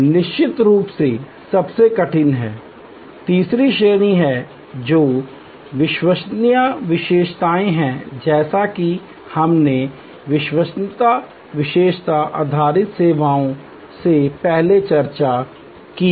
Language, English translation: Hindi, The toughest one of course, is the third category which is credence attribute, as we have discussed before credence attribute based services